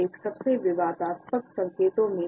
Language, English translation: Hindi, For me this one is one of the most controversial signs